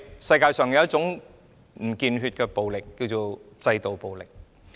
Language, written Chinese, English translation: Cantonese, 世界上有一種不見血的暴力，便是制度暴力。, A kind of bloodless violence in the world is systematic violence